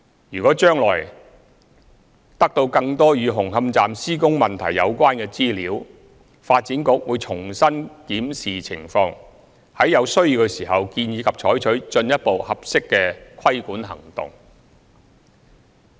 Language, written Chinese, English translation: Cantonese, 若將來得到更多與紅磡站施工問題有關的資料，發展局會重新檢視情況，在有需要時建議及採取進一步合適的規管行動。, In case more information on the construction issues associated with Hung Hom Station is available in future the Development Bureau will review the situation and if necessary recommend and take further appropriate regulatory actions